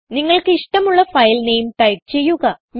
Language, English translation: Malayalam, Type the file name of your choice